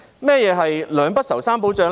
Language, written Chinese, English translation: Cantonese, 何謂"兩不愁、三保障"？, What are meant by two assurances and three guarantees?